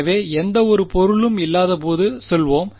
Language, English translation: Tamil, So, let us say when there is no object ok